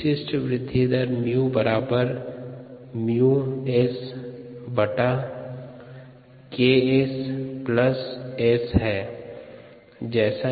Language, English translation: Hindi, the specific growth rate is a mu m times s by k s plus s